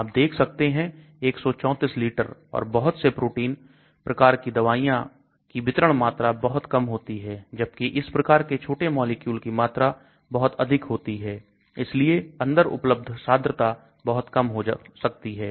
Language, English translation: Hindi, You can see 134 liters and many of the protein type of drugs have very low volume of distribution, whereas these types of small molecules are very high volume, so the concentration available inside could be very low